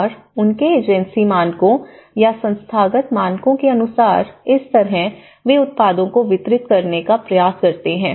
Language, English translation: Hindi, And as per their agency standards or the institutional standards and that is how they try to deliver the products